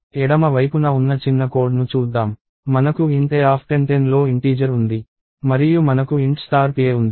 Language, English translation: Telugu, So, let us look at piece of code on the left side, we have int a of 10 and we have int star pa